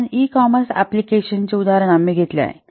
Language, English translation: Marathi, So here we have taken this example for an e commerce application